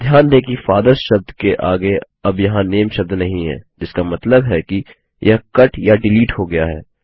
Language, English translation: Hindi, Notice that the word NAME is no longer there next to the word FATHERS, which means it has be cut or deleted